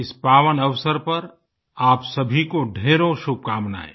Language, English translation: Hindi, On this auspicious occasion, heartiest greetings to all of you